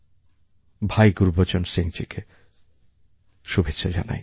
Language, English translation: Bengali, Congratulations to bhaiGurbachan Singh ji